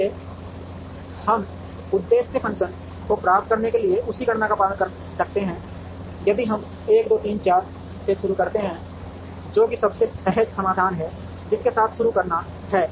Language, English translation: Hindi, So, we can follow the same computation to try and get the objective function value, if we start with 1 2 3 4 which is the most intuitive solution to begin with